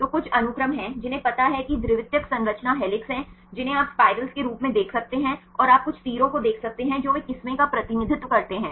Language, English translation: Hindi, So, there are sequence some know are secondary structure helix you can see in the form of spirals and you can see some arrows here they represent the strands right